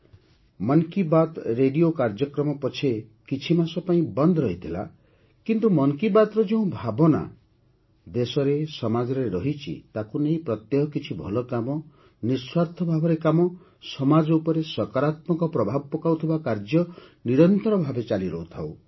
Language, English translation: Odia, The ‘Mann Ki Baat’ radio program may have been paused for a few months, but the spirit of ‘Mann Ki Baat’ in the country and society, touching upon the good work done every day, work done with selfless spirit, work having a positive impact on the society – carried on relentlessly